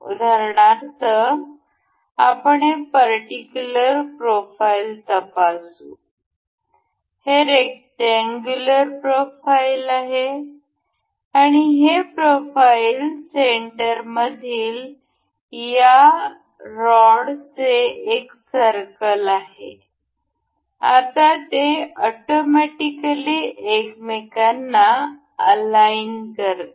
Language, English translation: Marathi, For instance, let us just check this particular profile; this rectangular profile and the say this is a circle of this rod in the profile center, now it automatically aligns the two of them to each other